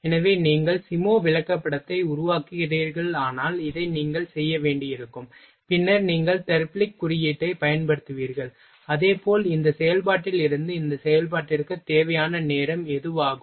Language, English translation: Tamil, So, this will you have to make if you are making SIMO chart, then you will use Therblig’s symbol, and as well as what is the time required from this operation to this operation ok